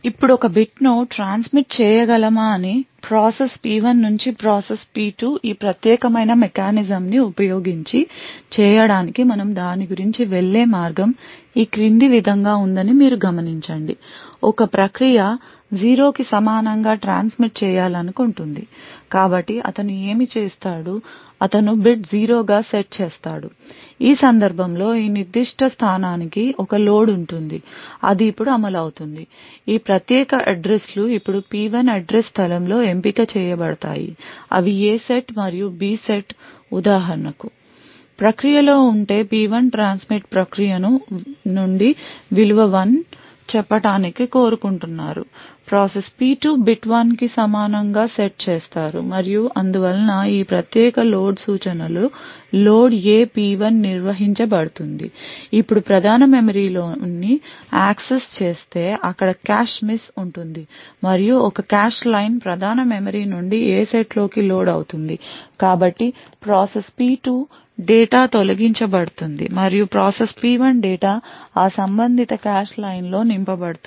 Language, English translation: Telugu, Now, you note that we can transmit one bit from process P1 to process P2 using this particular mechanism and the way we go about it is as follows let us say that a process P wants to transmit a bit equal to 0 so what he would do is that he would set the bit to be 0 in which case there would be a load to this particular location which gets executed now these particular addresses in the process P1 address space is selected in such a way that they fall in the A set and the B set respect thus for example if process P1 wants to transmit say a value of 1 to process P2 it would set the bit to be equal to 1 and thus this particular load instruction gets executed that is the load A P1 now what would happen is that the main memory gets accessed there would be a cache miss and one cache line gets loaded from the main memory into this A set so the process P2 data gets evicted and process P1 data would then be filled in that corresponding cache line